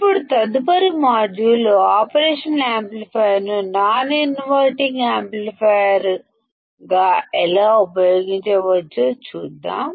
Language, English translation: Telugu, Now, in the next module; let us see how we can use operation amplifier as the non inverting amplifier